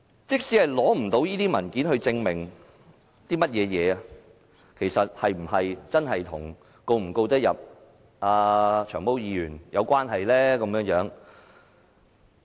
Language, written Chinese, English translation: Cantonese, 即使無法取得文件證明，是否真的與能夠成功控告"長毛"議員有關係？, Even if the documents are not produced in evidence will this affect the chance for them to successfully sue Long Hair?